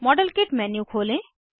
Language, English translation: Hindi, Open the modelkit menu